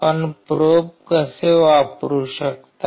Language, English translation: Marathi, How you can use probes